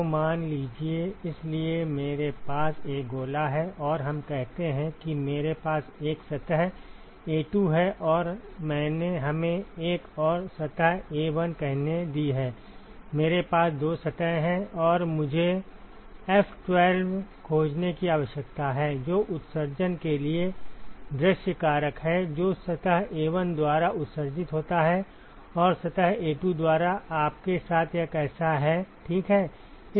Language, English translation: Hindi, So, suppose, ok; so I have a sphere and let us say I have a surface A2 and I have let us say another surface A1 ok, I have two surfaces and I need to find F12, which is the view factor for emission which is emitted by surface A1 and what how is that with you by surface A2 ok